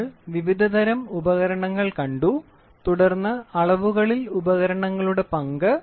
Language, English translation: Malayalam, We saw various types of instruments, then the role of instruments in measurements